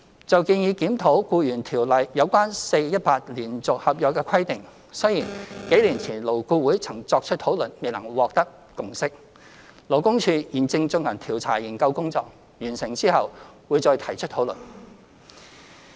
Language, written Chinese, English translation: Cantonese, 就建議檢討《僱傭條例》有關 4-18 連續性合約的規定，雖然幾年前勞工顧問委員會曾作出討論，但未能獲得共識，勞工處現正進行調查研究工作，在完成後會再提出討論。, Regarding the proposal to review the 4 - 18 requirement for employees employed under a continuous contract under the Employment Ordinance despite discussions by the Labour Advisory Board a few years ago no consensus has yet been reached . The Labour Department is now conducting a survey and this issue will be raised again for discussion upon completion of the survey